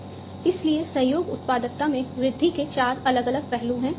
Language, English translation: Hindi, So, there are four different aspects of increase in the collaboration productivity